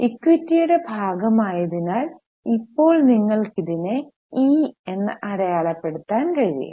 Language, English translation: Malayalam, Right now you can mark it as E because it's a part of equity